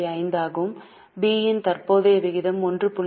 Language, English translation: Tamil, 5 and company B has current ratio of 1